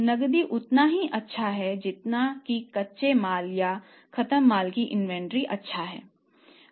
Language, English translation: Hindi, Cash is as good as inventory of the raw material or the finished goods